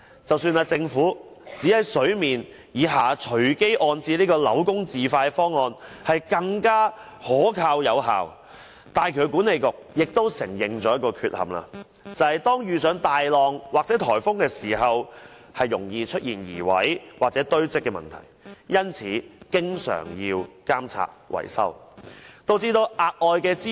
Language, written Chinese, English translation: Cantonese, 即使政府指在水面以下隨機安置扭工字塊方案是更可靠有效，港珠澳大橋管理局亦承認了一個缺陷，就是當遇上大浪或颱風時，容易出現移位或堆積問題，因此需要經常監察維修，導致額外支出。, Though the Government claims that the option of random distribution of the concrete blocks known as dolosse below sea level is more reliable and effective the Hong Kong - Zhuhai - Macao Bridge Authority has admitted there is a pitfall to it . That is in the event of strong waves or typhoons they are prone to drifting or accumulation . Therefore frequent monitoring and maintenance is necessary and this will lead to additional expenditure